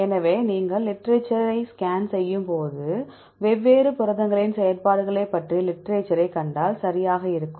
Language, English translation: Tamil, So, when you scan the literature, if you see the literature about the functions of different proteins right